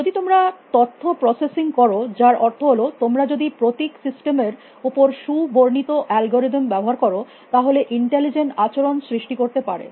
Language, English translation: Bengali, If you can do information processing which means, if you can operate on symbol systems using well define algorithms you can create intelligent behavior